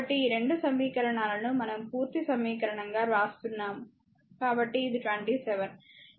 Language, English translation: Telugu, So, these 2 2 equations we are writing as a complete equation so, this is 27, right